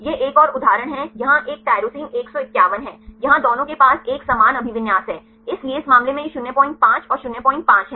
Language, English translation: Hindi, This is another example here is a tyrosine 151 here both of them they have similar occupancy, so in this case this 0